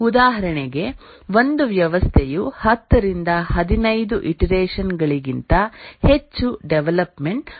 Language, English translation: Kannada, For example, a system may get developed over 10 to 15 iterations